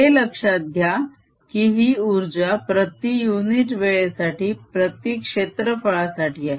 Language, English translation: Marathi, keep in mind that this is energy flow per unit area, per unit time